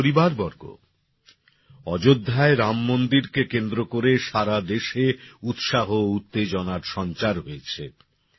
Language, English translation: Bengali, My family members, there is excitement and enthusiasm in the entire country in connection with the Ram Mandir in Ayodhya